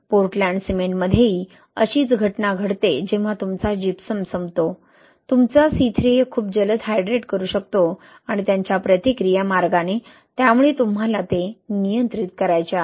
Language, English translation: Marathi, Same phenomena happens in Portland cement when you are run out of Gypsum, your C3A can hydrate, right, very fast and their reaction way, so you want to control that